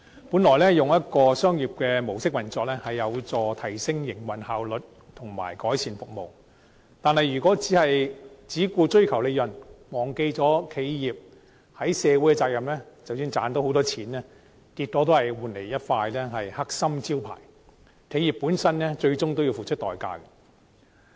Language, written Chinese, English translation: Cantonese, 本來以商業模式運作，有助提升營運效率及改善服務，但如果只顧追求利潤，忘記了企業的社會責任，即使賺到龐大利潤，結果只會換來一塊"黑心招牌"，企業本身最終都要付出代價。, Originally a commercial mode of operation will help to enhance its operational efficiency and improve its services . However if it only cares about pursuing profits and forgets about its corporate social responsibility even if it can make huge profits in the end it will only be branded as unscrupulous . Eventually the enterprise itself will have to pay a price